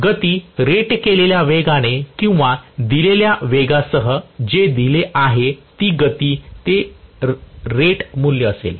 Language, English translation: Marathi, with the speed being at rated speed or given speed, whatever is the given speed that will be at rated value